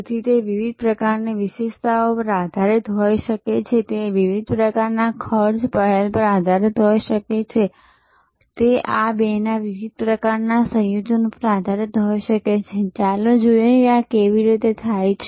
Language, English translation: Gujarati, So, it could be based on different types of features, it could be based on different types of cost initiatives, it could be based on different types of combinations of these two, let us look at how these are done